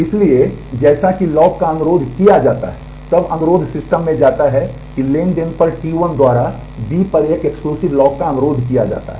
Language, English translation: Hindi, So, as the lock is requested then the request goes to the system that a exclusive lock on B is requested by transaction T 1